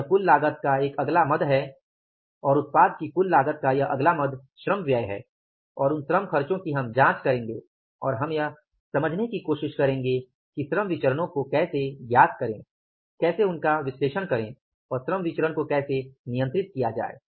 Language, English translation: Hindi, So, this is the next head of the total cost and this next head of the total cost of the product is the labor expenses and those labor expenses we will check up and we will try to understand that how to find out the labor variances, how to analyze the labor variances and how to control the labor variances